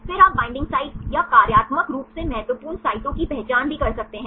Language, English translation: Hindi, Then also you can also identify the binding sites or functionally important sites